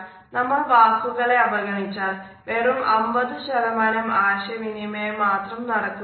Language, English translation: Malayalam, So, we can either ignore words, but then we would only have 50% of the communication